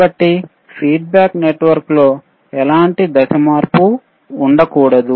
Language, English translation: Telugu, So, feedback network should not have any kind of phase shift right,